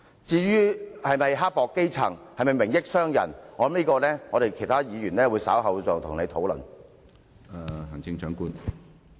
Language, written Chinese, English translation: Cantonese, 至於是否刻薄基層，是否"明益"商人，我相信其他議員稍後會再與你討論。, As for whether the Chief Executive is mean to the grass roots and whether she is tilting towards the business sector I think other Members will discuss these subjects with her later